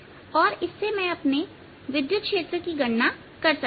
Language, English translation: Hindi, so that means we want to know the electric field